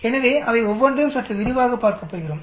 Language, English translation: Tamil, So we are going to look at each one of them slightly in more detail